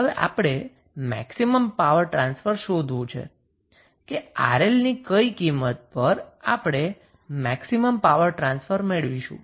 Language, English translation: Gujarati, Now, we have to find the maximum power transfer at what value of Rl we get the maximum power transfer